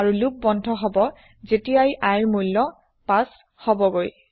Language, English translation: Assamese, And the loop will exit once the value of i becomes 5